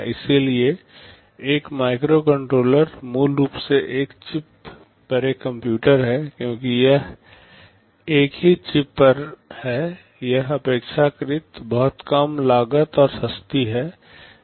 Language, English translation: Hindi, So, a microcontroller is basically a computer on a single chip, because it is on a single chip it is relatively very low cost and inexpensive